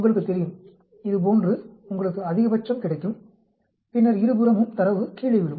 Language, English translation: Tamil, Like this you know, you will have a max and then on both sides you will have data falling down